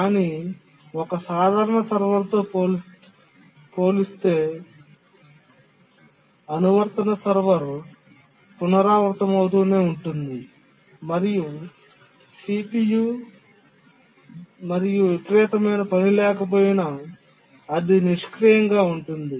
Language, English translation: Telugu, But then compared to a simple server, periodic server which just keeps on repeating and even if there is CPU, there is no sporadic task, it just idles the CPU time